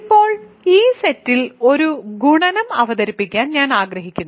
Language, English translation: Malayalam, Now, I want to introduce a multiplication on this set